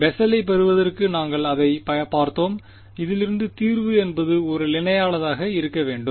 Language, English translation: Tamil, We have seen that to get Bessel’s solution out of this it should be a constant right